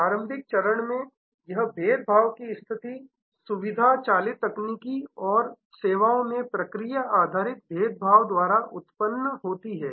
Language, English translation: Hindi, In the early stage, this differentiation position is generated by feature driven technical and process based differentiation in services